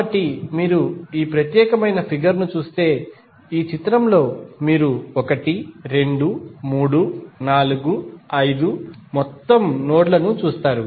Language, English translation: Telugu, So, if you see this particular figure, in this figure you will see 1, 2, 3, 4, 5 are the total nodes